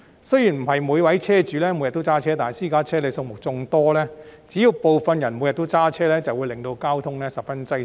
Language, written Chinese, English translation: Cantonese, 雖然不是每位車主每天也會駕駛私家車，但私家車數目眾多，只要部分駕駛者每天駕駛，便會令交通十分擠塞。, Though not every owner of private cars drives every day given the large number of private cars there will be severe traffic congestion as along as some drivers drive every day